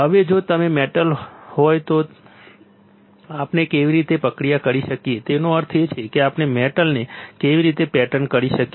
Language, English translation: Gujarati, Now, what if there is a metal, then how can we process; that means, that how can we pattern a metal